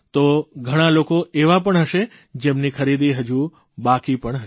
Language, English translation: Gujarati, So there will be many people, who still have their shopping left